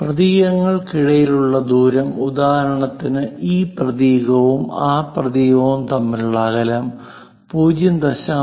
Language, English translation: Malayalam, Spacing between characters; for example, this character and that character whatever this spacing that has to be used 0